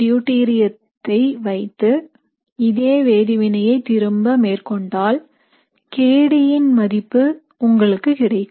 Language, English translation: Tamil, What it means is that the same reaction when repeated with deuterium, you will get a kD value